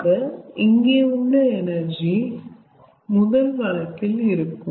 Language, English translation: Tamil, so this is the energy available in the first case